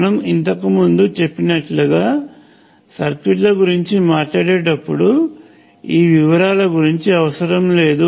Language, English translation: Telugu, As I mentioned earlier while talking about circuits in general, we will not worry about these details